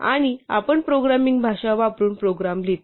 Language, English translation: Marathi, And we write down a program using a programming language